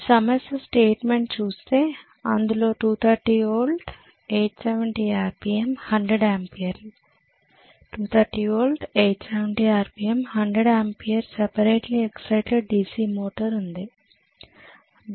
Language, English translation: Telugu, The problem statement says the 230 volt, 870 RPM, 100 amperes, 230 volt, 870 RPM, 100 ampere separately excited DC motor okay